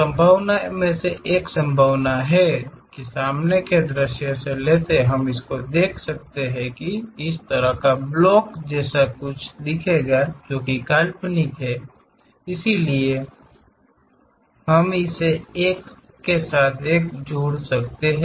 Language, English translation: Hindi, One of the possibility is from frontal view, we can see that there is something like this kind of block, which is imaginary, so we can join along with our this one